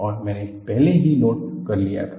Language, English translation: Hindi, And, I had already noted